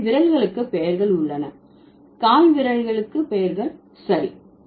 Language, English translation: Tamil, So, fingers have names, toes have names, okay